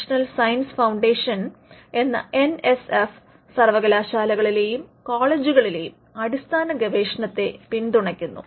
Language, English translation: Malayalam, The NSF which is the national science foundation, supports basic research in universities and colleges